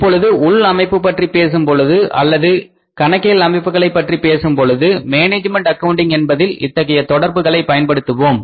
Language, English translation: Tamil, Now when you talk about the internal systems or the accounting systems we use this kind of the relationship under the management accounting